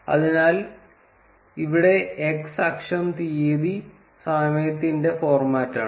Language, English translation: Malayalam, So, here x axis is the format of date time